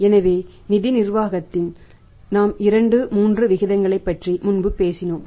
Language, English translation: Tamil, So, in the financial management we had talked about 2,3 ratios earlier